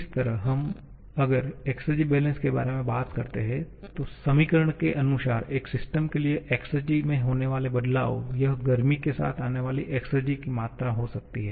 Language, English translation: Hindi, Similarly, if we talk about the exergy balance, then the change in exergy for a system can I am directly writing the equation now that can be the amount of exergy coming with the heat